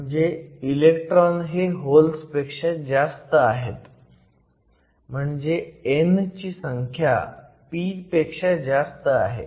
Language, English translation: Marathi, So, we have more electrons than holes, another way of stating is n will be greater than p